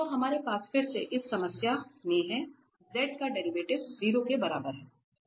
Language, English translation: Hindi, So, we have again in this problem, the derivative at z equal to 0